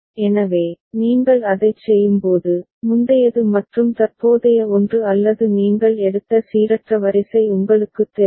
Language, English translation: Tamil, So, that way you go on doing it, you will find for the previous one and the current one or any you know random sequence that you have taken